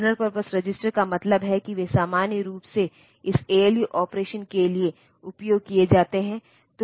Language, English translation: Hindi, So, the general purpose register means, they are normally used for this ALU operation